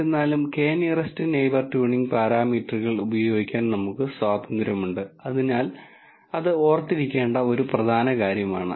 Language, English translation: Malayalam, However, we are free to use tuning parameters for k nearest neighbors, so that is an important thing to remember